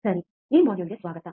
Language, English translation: Kannada, Alright, welcome to this module